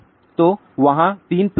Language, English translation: Hindi, So, there are three plots are there